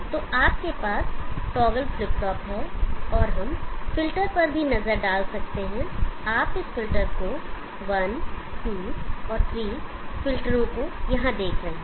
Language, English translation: Hindi, So you have the toggle flip flop and we can also have a look at the filter, you see this filter 1,2 and 3 filters are here